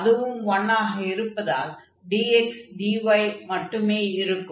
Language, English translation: Tamil, And what we will observe because this is 1 and we have dx dy